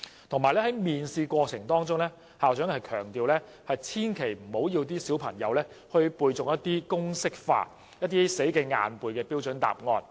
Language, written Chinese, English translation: Cantonese, 此外，在面試過程中，校長強調千萬不要要求小朋友背誦一些公式化或死記硬背的標準答案。, Furthermore he emphasized that parents should not ask their small children to recite some standard answers for the interviews or memorize the answers by rote